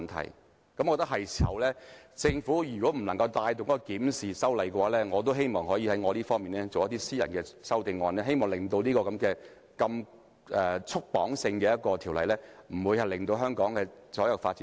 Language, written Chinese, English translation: Cantonese, 我認為現在是時候檢討，如果政府無法帶動修例，我也希望可以提出私人法案，放寬這項過度束縛的條例，使其不致窒礙香港所有發展。, I think it is time to conduct a review and if the Government cannot take the lead in amending the Ordinance I would propose a private Members Bill to relax the over stringent restraints so as to avoid stifling all developments in Hong Kong . President some colleagues have pointed out that the Budget still sticks to the colonial practice in many ways